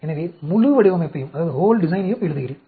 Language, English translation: Tamil, So, I write down the whole design